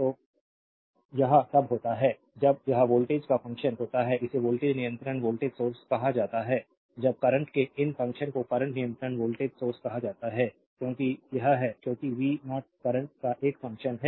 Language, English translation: Hindi, So, this is when it is function of voltage it is called voltage controlled voltage source when these function of current it is called current controlled voltage source because it is because v 0 is a function of the current, I hope this is simple thing I hope it is understandable to you